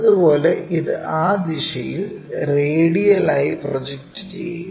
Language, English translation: Malayalam, Similarly, project this one radially in that direction